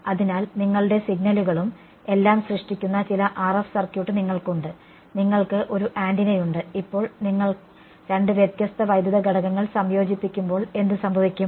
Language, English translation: Malayalam, So, you have some RF circuit which generates your signals and all and you have an antenna, now when you combine two different electrical elements what will happen